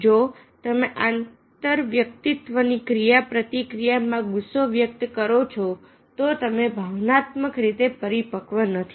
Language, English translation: Gujarati, if you are aggressive, if you express anger in interpersonal interaction, you are not emotionally mature